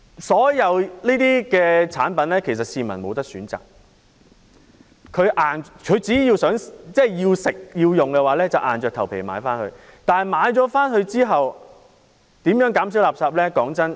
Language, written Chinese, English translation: Cantonese, 所有產品的包裝，市民也無法選擇，只要他們想吃或想用，便要硬着頭皮買回家，之後可如何減少垃圾？, The public cannot choose the packaging of all products . They can only buy home food or articles that they want to eat or use . How can they reduce waste later?